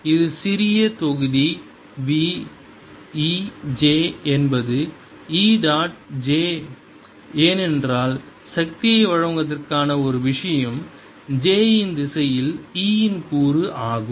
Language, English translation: Tamil, v e j is e dot j, because the only thing that comes into delivering power is the component of e in the direction of j